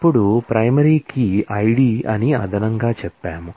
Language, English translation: Telugu, Now, we additionally say that primary key is ID